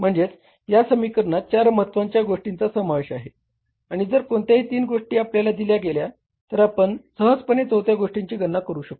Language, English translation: Marathi, You can miss this equation involves four important things and if any three things are given to us, we can easily calculate the fourth thing